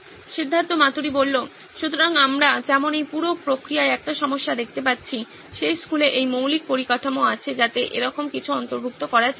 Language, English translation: Bengali, So as we see a problem in this whole process would be that school having that basic infrastructure to incorporate something like this